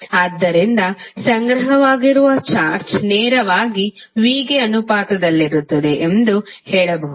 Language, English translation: Kannada, So, can say that q that is stored charge is directly proposnal to v